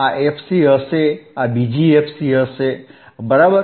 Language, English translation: Gujarati, This will be fc, this will be another fc, right